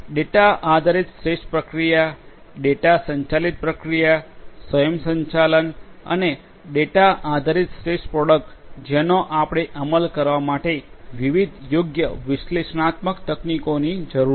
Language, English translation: Gujarati, Data driven process optimization, data driven process automation and data driven product optimization for everything we need different suitable analytical techniques to be implemented